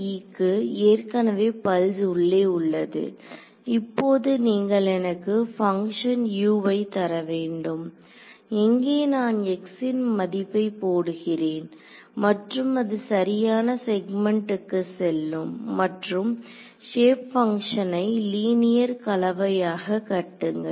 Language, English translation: Tamil, So, N 1’s are already they already have the pulse inside it, now I want you to give me a function U; where I put in the value of x and it goes to the correct segment and constructs it as a linear combination of 2 shape functions